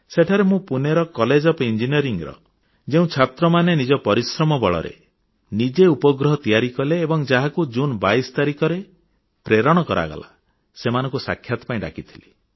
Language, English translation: Odia, Over there I met those students of the Pune College of Engineering, who on their own have made a satellite, which was launched on 22nd June